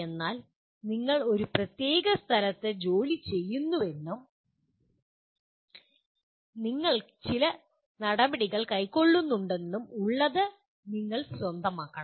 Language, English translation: Malayalam, But the fact that you are working in a certain place and you are taking some actions, you have to own them